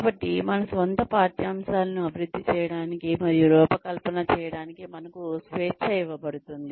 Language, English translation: Telugu, So, we are given the freedom to develop, and design our own curricula